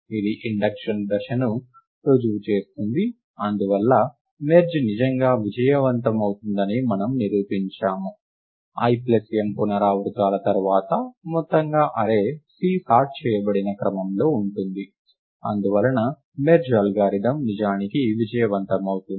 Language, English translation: Telugu, This proves the induction step; and therefore, we have proved that merge indeed does succeed, that after l plus m iterations the whole array C is in the sorted order, and therefore, the merge algorithm indeed succeeds